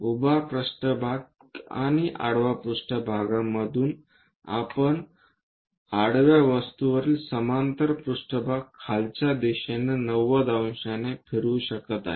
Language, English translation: Marathi, From the vertical plane and horizontal plane, if we are taking if we can rotate a parallel plane on the horizontal thing by 90 degrees in the downward direction